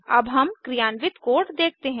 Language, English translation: Hindi, Now let us see the code in action